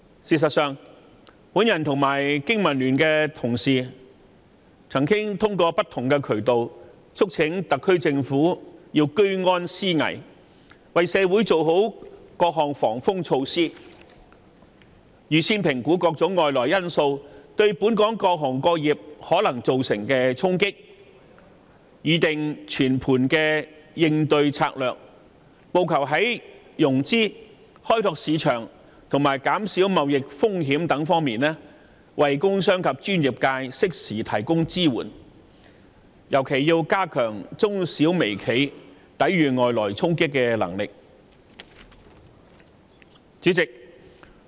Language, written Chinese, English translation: Cantonese, 事實上，我與經民聯的同事曾通過不同的渠道，促請特區政府居安思危，為社會做好各項防風措施，預先評估各種外來因素對本港各行各業可能造成的衝擊，從而擬定全盤的應對策略，務求在融資、開拓市場及減少貿易風險等方面為工商及專業界適時提供支援，特別是加強中小微企抵禦外來衝擊的能力。, In fact I and my BPA colleagues have through different channels urged the SAR Government to prepare for crisis in good times . It should take necessary precautionary measures and formulate comprehensive strategies by assessing the potential negative impacts of external factors on local industries . That will enable the Government to provide timely assistance to the business and professional sectors in respect of financing marketing risk management etc and strengthening in particular the resilience of micro small and medium enterprises against external shocks